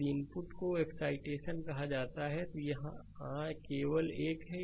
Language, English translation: Hindi, If the input your called excitation, here it is just you mark this one